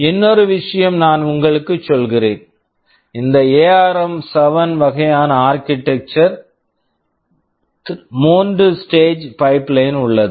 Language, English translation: Tamil, Just another thing let me tell you, in this ARM7 kind of architecture a 3 stage pipeline is there